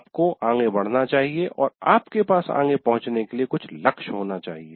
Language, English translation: Hindi, So you have to move on and you have some goals to reach